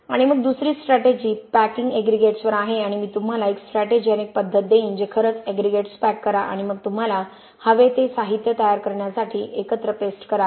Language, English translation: Marathi, And then the second strategy is on packing aggregates and I will give you a strategy and a methodology to actually pack aggregates and then put paste in the aggregates together to form the material that you want ok